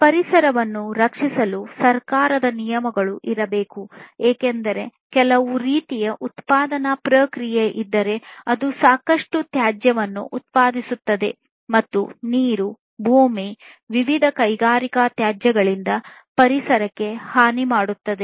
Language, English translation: Kannada, So, government regulations should be there to protect the environment, because you know if there is some kind of production process, which produces lot of waste and in turn harms the environment the water, the land etc are full of different industrial wastes then that is not good